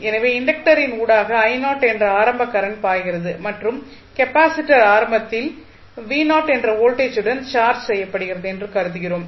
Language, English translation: Tamil, So, we assume that there is some initial current flowing through the inductor and the value is I not and capacitor is initially charged with some voltage v not